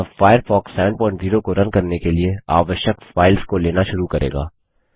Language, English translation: Hindi, This will start extracting the files required to run Firefox 7.0